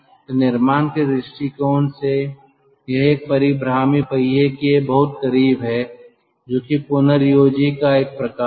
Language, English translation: Hindi, so from the construction point of view it is very close to a rotary wheel kind of a regenerator, see ah